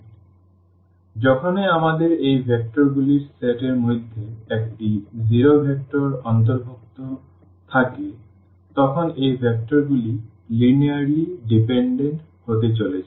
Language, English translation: Bengali, So, whenever we have a zero vector included in the set of these vectors then these vectors are going to be linearly dependent